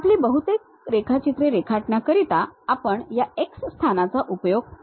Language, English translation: Marathi, Most of our drawing we work in this X location